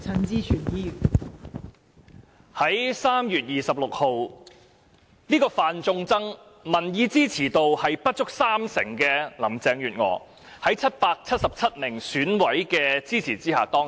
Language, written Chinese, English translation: Cantonese, 代理主席，在3月26日，這位"犯眾憎"、民意支持度不足三成的林鄭月娥，在777名選委的支持下當選。, Deputy President on 26 March the unwelcomed Carrie LAM who only had a popularity rating of less than 30 % was elected by 777 Election Committee members